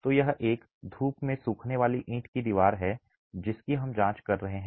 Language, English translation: Hindi, So, it is a sun dried brick wall that we are examining